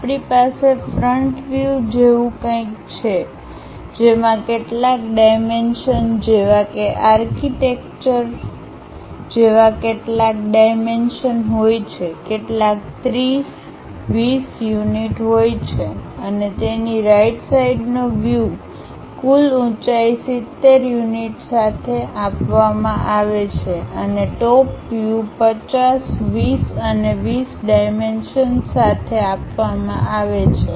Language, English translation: Gujarati, We have something like a front view, having certain dimensions like steps kind of architecture, some 30, 20 units and its right side view is given with total height 70 units and the top view is given with dimensions 50, 20 and 20